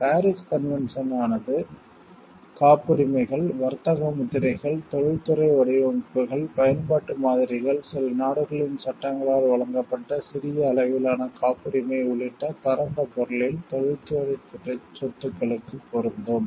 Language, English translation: Tamil, The Paris convention applies to industrial property in the wider sense, including patents, trademarks, industrial designs, utility models, a kind of small scale patent provided for by the laws of some countries